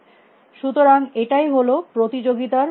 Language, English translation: Bengali, So, that is the nature of this competition